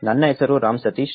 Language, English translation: Kannada, My name is Ram Sateesh